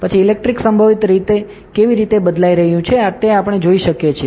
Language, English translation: Gujarati, Then how is the electric potential changing we can see